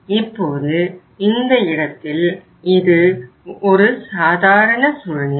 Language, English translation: Tamil, Now in this case, this is the normal situation